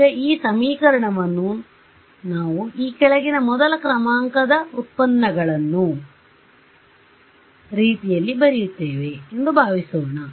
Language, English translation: Kannada, Supposing I write this equation as in the following way becomes the first order derivatives